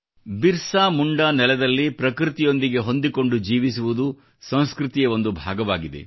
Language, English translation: Kannada, This is BirsaMunda's land, where cohabiting in harmony with nature is a part of the culture